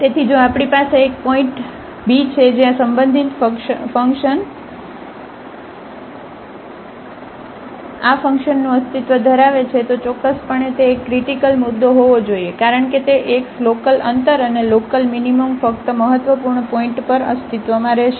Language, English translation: Gujarati, So, if we have a point a b where the relative extremum exists of this function then definitely that has to be a critical point because those x, local extremum and local minimum will exist only on the critical points